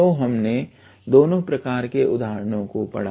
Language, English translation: Hindi, So, we have covered the examples of both of the types